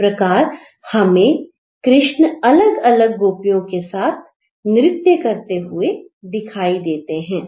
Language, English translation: Hindi, So, we get to see multiple Krishna in a dancing sequence dancing with the goopies